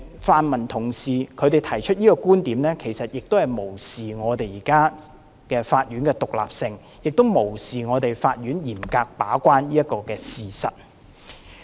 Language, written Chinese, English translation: Cantonese, 泛民同事提出這個觀點，是無視法院的獨立性，亦無視法院嚴格把關這個事實。, The views expressed by the pan - democrats show that they have ignored the independence of the courts and the fact that the courts will act as stringent gatekeepers